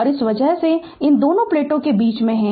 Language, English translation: Hindi, And because of that you are in between these two plates